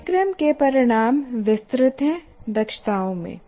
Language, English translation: Hindi, Course outcomes are elaborated into competencies